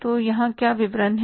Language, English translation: Hindi, So, what is the particulars here